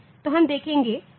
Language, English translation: Hindi, So, we will see that